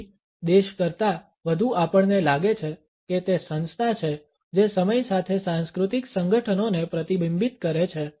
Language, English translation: Gujarati, So, more than the country we find that it is the organization which is reflecting the cultural associations with time